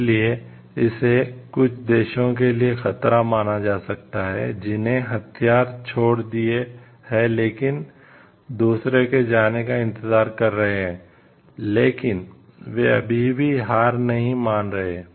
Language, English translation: Hindi, So, it may be perceived as a threat by some countries who have given up some by some countries, who have given up the weapons, but and waiting for the others to give up, but they are still not giving up the weapon